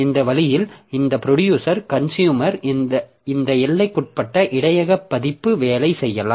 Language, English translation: Tamil, So, this way this producer consumer this bounded buffer version can work